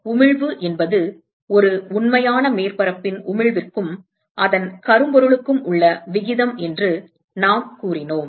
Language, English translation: Tamil, We said that the emissivity is the ratio of the emission from a real surface to that of the black body